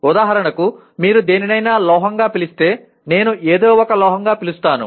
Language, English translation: Telugu, For example if you call something as a metal, I call something as a metal